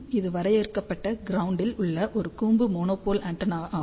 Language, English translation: Tamil, So, this is a conical monopole antenna on the finite ground lane